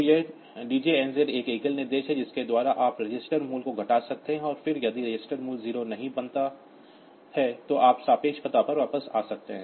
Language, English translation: Hindi, So, this DJNZ is a single instruction by which you can decrement the register value and then if the register value does not become 0, so you can jump back to the relative address